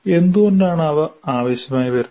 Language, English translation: Malayalam, And why are they required